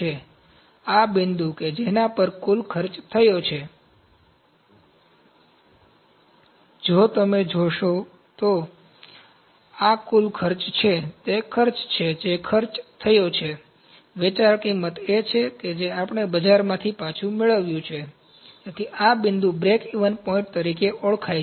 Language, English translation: Gujarati, So, this point at which the total cost that is incurred, if you see this total cost is the cost that is incurred, selling price is that we have getting back from the market, so this point is known as breakeven point